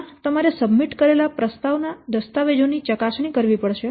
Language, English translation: Gujarati, First, you have to scrutinize the submitted proposal documents